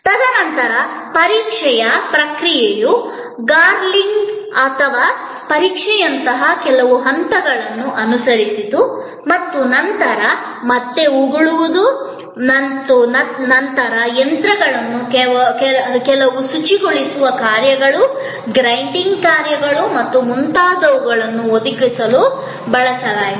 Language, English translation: Kannada, And then, the process of examination followed a certain set of steps like gargling or examination and then, again spitting and then, again further examination and some cleaning agents were used and some machines were used to provide certain cleaning functions, grinding functions and so on